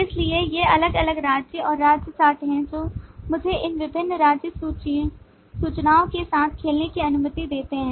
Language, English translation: Hindi, so these are the different states and state chart that allows me to play around with these different state information